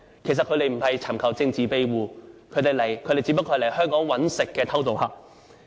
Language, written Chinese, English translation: Cantonese, 其實他們不是尋求政治庇護，他們只不過是來香港謀生的偷渡客。, Actually they are not political asylum seekers and they are just illegal entrants who want to make a living in Hong Kong